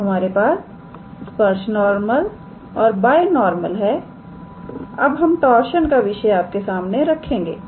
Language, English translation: Hindi, So, we have tangent normal and binormal, now we will introduce the concept of torsion